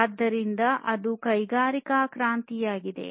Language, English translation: Kannada, So, that was the industrial revolution